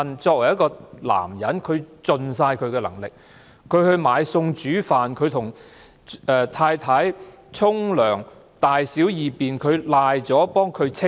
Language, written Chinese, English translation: Cantonese, 作為一個男人，他自問已盡了力，他買餸煮飯，幫太太洗澡，處理她的大小二便，所有事情都幫她處理。, As a husband he believed he had done his best to cook for his wife bathe her and deal with her poo and pee . He did everything for her